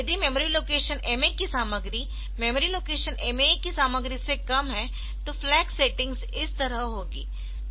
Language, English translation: Hindi, If MA is content of memory location MA is less than content of memory location MA E then this will be the flag settings